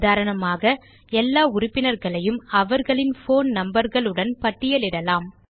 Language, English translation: Tamil, our example is to list all the members of the Library along with their phone numbers